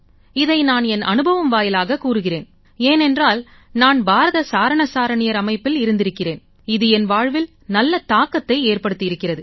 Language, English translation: Tamil, I state this from my own experience because I have served in the Bharat Scouts and Guides and this had a very good impact upon my life